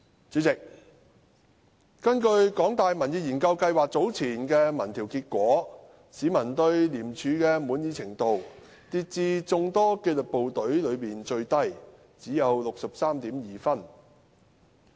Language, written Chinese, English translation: Cantonese, 主席，根據香港大學民意研究計劃早前的民調結果，市民對廉署的滿意程度跌至眾多紀律部隊中最低，只有 63.2 分。, Chairman according to the results of an opinion poll published some time ago by the Public Opinion Programme of the University of Hong Kong peoples satisfaction with ICAC dropped to be the lowest among the many disciplined forces with a satisfaction rating of 63.2 only